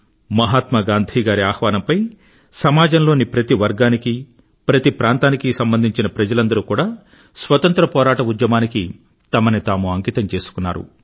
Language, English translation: Telugu, During the Freedom Struggle people from all sections and all regions dedicated themselves at Mahatma Gandhi's call